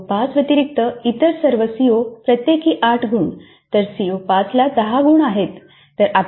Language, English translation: Marathi, All the COs other than CO 5, 8 marks each then CO5 is 10